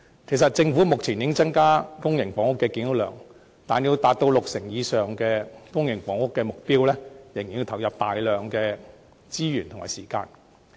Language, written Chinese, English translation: Cantonese, 其實，政府目前已增加公營房屋的建屋量，但要達到六成以上居民入住公營房屋的目標，仍須投放大量資源和時間。, As a matter of fact the Government has already increased its public housing flat production but in order to achieve the target of providing public housing for more than 60 % of the local population a lot of resources and time are still required